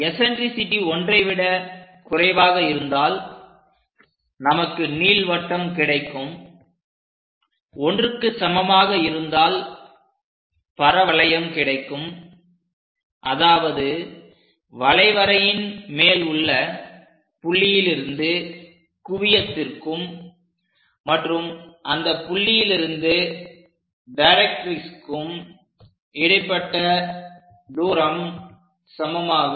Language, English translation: Tamil, If eccentricity less than 1 we get an ellipse, if it is equal to 1, we get a parabola, that means from focus to point on this parabola and distance from this point to this directrix they are one and the same